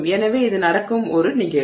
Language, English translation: Tamil, So, this is a phenomenon that is happening